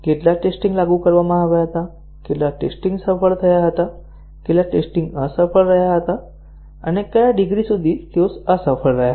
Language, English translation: Gujarati, How many tests were applied, how many tests were successful, how many tests have been unsuccessful and the degree to which they were unsuccessful